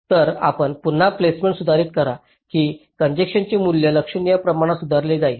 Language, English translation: Marathi, so you modify the placement again such that the congestion value is get improved to a significant extent